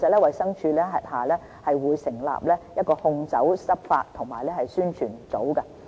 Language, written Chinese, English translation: Cantonese, 衞生署轄下會成立一個控酒執法及宣傳組。, DH will set up an Alcohol Enforcement and Publicity Unit